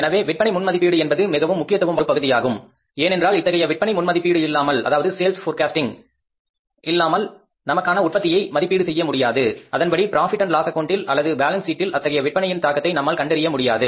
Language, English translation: Tamil, So, sale forecasting is a very, very important component because without sales forecasting means production is not possible to be estimated and accordingly the impact of that sales on the profit and loss account or maybe the financial position or the cash position of the firm cannot be worked out